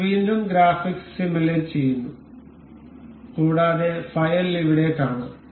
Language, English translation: Malayalam, We will again simulate the graphics and we can see the file over here